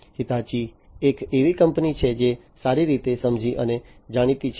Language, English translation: Gujarati, Hitachi is a company that is well understood and well known